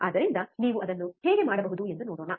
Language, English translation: Kannada, So, let us see how you can do it